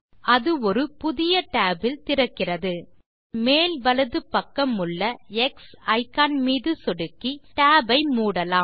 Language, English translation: Tamil, Lets close this tab, by clicking on the X icon, at the top right of the tab